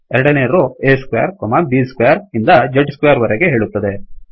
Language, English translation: Kannada, Second row says a square, b square up to z square